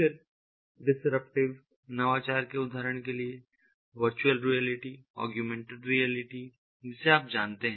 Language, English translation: Hindi, then, disruptive innovation: ah, for example, virtual reality, augmented reality, you know